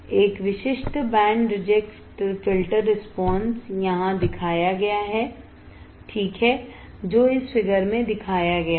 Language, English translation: Hindi, A typical band reject filter response is shown here alright this shown in this figure